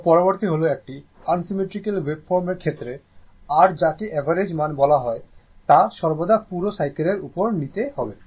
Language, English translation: Bengali, So, next is that suppose in the case of unsymmetrical wave form the the your what you call the average value must always be taken over the whole cycle